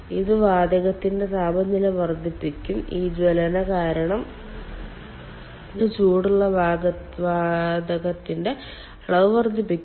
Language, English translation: Malayalam, so obviously this will increase the temperature of the gas and it will also increase the volume of the hot gas because of this combustion